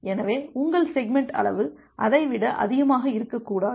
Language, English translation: Tamil, So, your segment size cannot be more than that